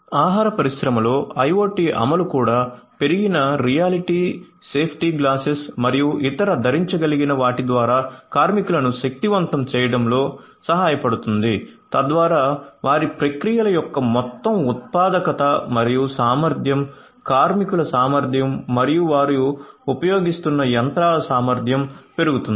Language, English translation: Telugu, IoT implementation in the food industry can also help in empowering the workers through augmented reality safety glasses and other wearable, thereby increasing the overall productivity and efficiency of their processes, efficiency of the workers, efficiency of the machinery that they are using